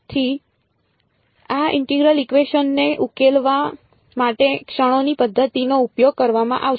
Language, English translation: Gujarati, So, method of moments is what will use to solve this integral equation